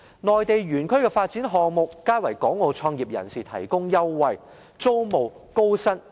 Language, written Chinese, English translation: Cantonese, 內地園區的發展項目皆為港澳創業人提供優惠，例如租務、薪酬等。, The Mainland industrialtechnology parks all provide preferential treatment to business starters from Hong Kong and Macao such as rent concessions attractive salaries and so on